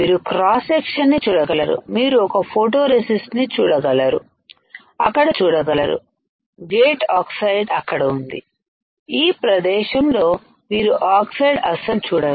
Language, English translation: Telugu, You can see on the cross section you can see a photoresist is there, , the gate oxide is there, there is no oxide you see in this region